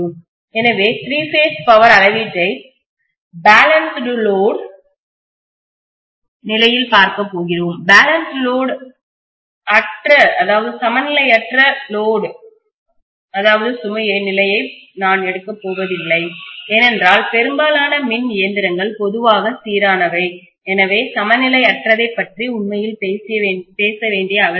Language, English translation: Tamil, So we are going to look at three phase power measurement if it is balanced load, I am not going to take the case of unbalanced load condition because most of the electrical machines normally are balanced so there is no need to really talk about t unbalanced